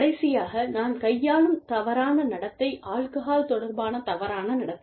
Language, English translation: Tamil, The last type of misconduct, that i will deal with is, alcohol related misconduct